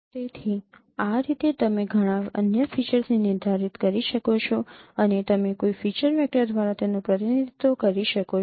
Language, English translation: Gujarati, So in this way you can define many other features and you can represent them by a feature vector